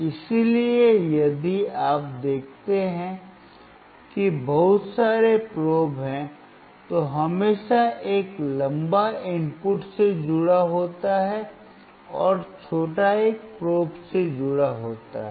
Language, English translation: Hindi, So, if you see there are lot of probes, always a longer one is connected to the input, and the shorter one is connected to the probe